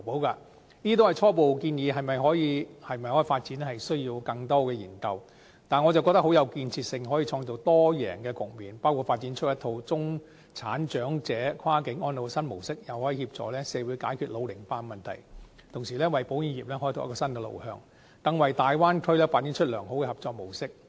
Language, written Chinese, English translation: Cantonese, 這些都是初步建議，可否發展需要更多研究，但我認為很有建設性，既可創造多贏的局面，包括發展出一套中產長者跨境安老新模式，又可協助社會解決老齡化的問題，同時為保險業開拓新路向，更為大灣區發展良好的合作模式。, The proposal is preliminary and its feasibility requires further studies . Yet I find the proposal very constructive and conducive to the achievement of an all - win situation the development of a new model of cross - boundary elderly care for the middle - class; the provision of a solution to population ageing in society; the exploration of a new development direction for the insurance industry and the forging of a sound cooperation model for the Bay Area development